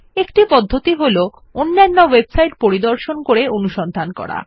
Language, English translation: Bengali, One way is to search by visiting other websites